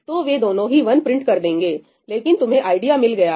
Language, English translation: Hindi, So, both of them will end up printing 1, but you get the idea, right